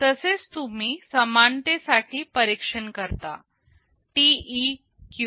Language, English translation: Marathi, Similarly, you test for equality, TEQ